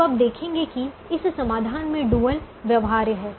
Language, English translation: Hindi, now you realize that this solution has the dual feasible